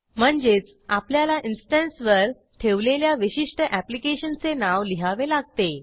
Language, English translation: Marathi, So,we must type the specific application that has been deployed on that instance